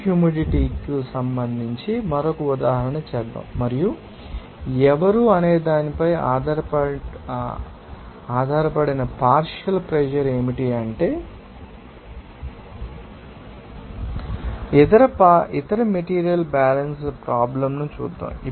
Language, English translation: Telugu, Let us do another example, you know regarding this you know humidity and also what is that partial pressure based on who is let us see that other you know material balance problem